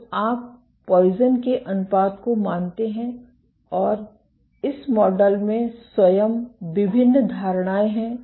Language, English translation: Hindi, So, you assume the Poisson’s ratio and this model itself has various assumptions built into it